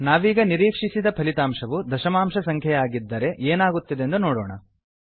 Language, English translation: Kannada, Now let us see what happens when the expected result is a decimal point number